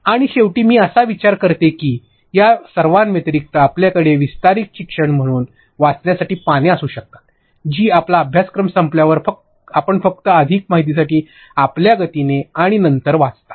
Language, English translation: Marathi, And lastly I guess other than all of these, you can simply have pages to read as extended learning that is you simply read at your pace and time later on when your course is over for more information